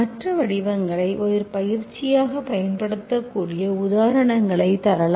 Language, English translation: Tamil, I will give you examples where you can use other forms as an exercise, okay